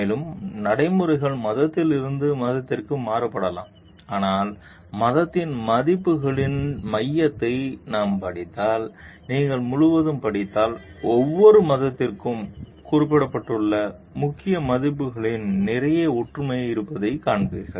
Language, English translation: Tamil, And practices may vary from religion to religion, but if we study the core of the values of the religion and if you study throughout, you will find there is lot and lot of similarity in the key values which are mentioned for every religion